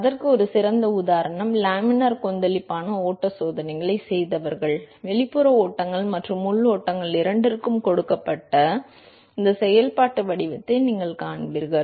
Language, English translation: Tamil, An excellent example of that is those who have done laminar turbulent flow experiments, you will see this functional form that is given to you for both external flows and internal flows